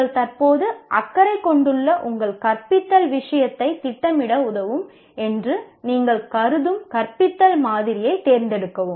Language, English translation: Tamil, And select a model of teaching that you consider will help you to plan your teaching the subject you are presently concerned with